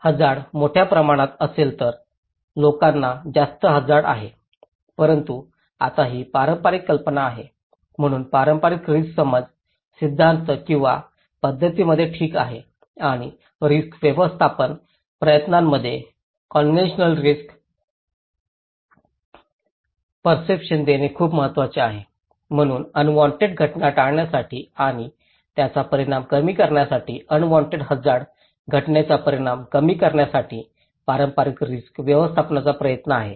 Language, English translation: Marathi, If the hazard is bigger in size in magnitude, then people have greater, higher risk perception but itís a very conventional idea now, so external risk stimulus is so important in conventional risk perception theories or practices, okay and risk management effort; conventional risk management effort is therefore to prevent the unwanted event and to ameliorate its consequence, to reduce the consequence of an unwanted hazardous event, okay